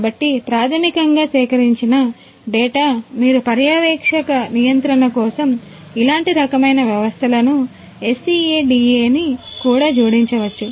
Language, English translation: Telugu, And so basically the data that are collected you know you could even add you know SCADA to similar kind of systems for supervisory control and so on